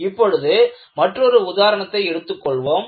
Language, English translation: Tamil, And, let me take one more example